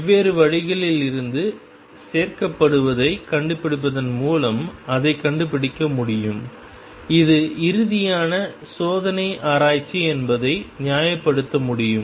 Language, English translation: Tamil, It can be discovered by looking added from different means it can be justified the ultimate test is experiment